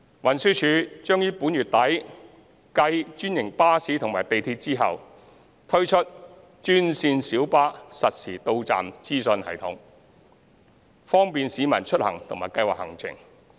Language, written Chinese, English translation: Cantonese, 運輸署將於本月底繼專營巴士及港鐵後，推出專線小巴實時到站資訊系統，方便市民出行和計劃行程。, TD will introduce the real - time arrival information system for green minibus GMB at the end of this month following the implementation of the same for franchised bus and MTR so as to facilitate commuting and trip planning of the public